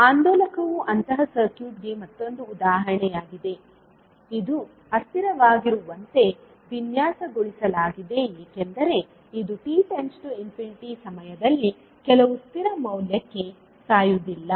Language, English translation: Kannada, The oscillator is another example of such circuit, which is designed to be unstable because it will not die out to some constant value, when the time t tends to infinity